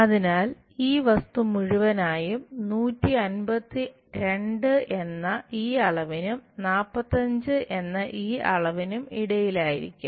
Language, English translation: Malayalam, So, this entire object will be in between this 152 dimensions and 45 dimensions